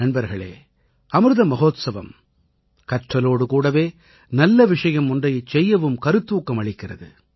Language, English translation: Tamil, Friends, the Amrit Mahotsav, along with learning, also inspires us to do something for the country